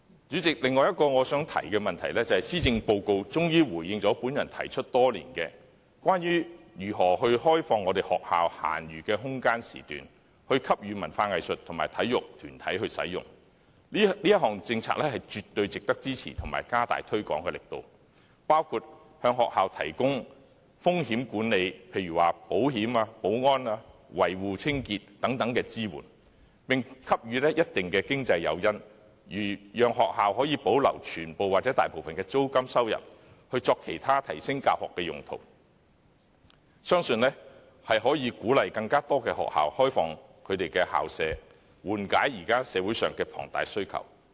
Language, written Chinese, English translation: Cantonese, 主席，我想提出的另一點，就是施政報告終於回應我提出多年的建議，即如何開放學校閒餘的空間時段，供文化藝術及體育團體使用，這項政策絕對值得支持和大力推廣，包括向學校提供風險管理，例如保險、保安、維護、清潔等支援，並給予一定的經濟誘因，讓學校可以保留全部或大部分的租金收入作其他提升教學的用途，我相信這樣可鼓勵更多學校開放其校舍，緩解現時社會上的龐大需求。, The Policy Address finally answers my proposal which I have been making for a few years that idle school campuses should be opened up for use by arts cultural and sports organizations . This policy is definitely worthy of support and vigorous promotion including provision of assistance in risk management to schools such as insurance security maintenance and cleaning . Certain incentives should also be offered so that schools can retain the full or partial rental income for other purposes of enhancement of teaching